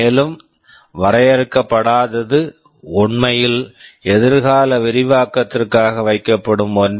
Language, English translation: Tamil, And undefined is actually something which is kept for future expansion